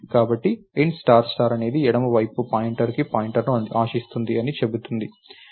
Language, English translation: Telugu, So, an int star star tells you that the left side is expecting a pointer to a pointer